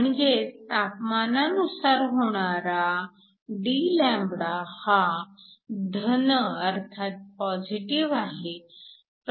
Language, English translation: Marathi, So, dλ with respect to temperature is a positive quantity